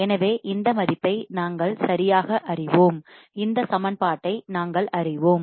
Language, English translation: Tamil, So, we know this value right, we know this equation